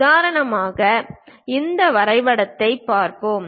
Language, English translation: Tamil, For example, let us look at this drawing